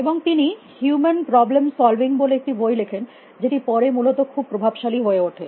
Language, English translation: Bengali, And he wrote a book, they wrote a book call human problem solving, which became very influential later essentially